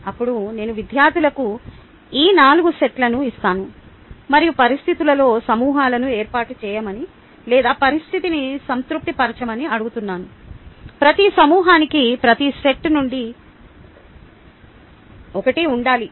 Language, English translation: Telugu, ok, then i give the students these four sets and ask them to form groups themselves under the conditions, or to satisfy the condition that each group must have one from each set